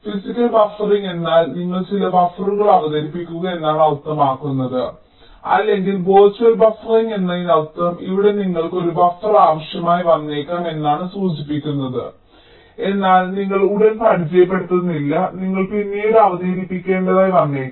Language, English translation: Malayalam, physical buffering means you introduce some buffers, or virtual buffering means you indicate that here you may require a buffer, but you do not introduce right away, you may need to introduce later